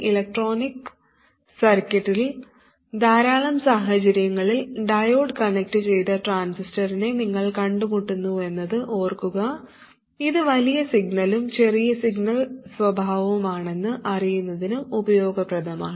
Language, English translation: Malayalam, You do encounter the diode connected transistor in a lot of situations in electronic circuits, and it is useful to know its large signal and small signal behavior